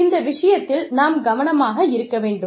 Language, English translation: Tamil, So, that is what, we need to be careful about